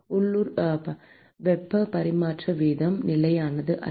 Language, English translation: Tamil, The local heat transfer rate is not constant